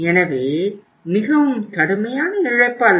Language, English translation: Tamil, So not a very serious loss